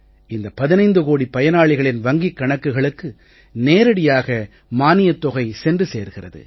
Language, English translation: Tamil, The government money is being directly transferred to the accounts of 15 crore beneficiaries